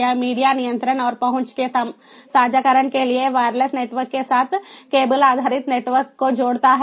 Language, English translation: Hindi, it connects cable based networks with wireless networks for increased sharing of media control and access